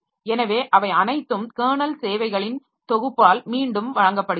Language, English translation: Tamil, So, they are all provided by and again by a set of kernel services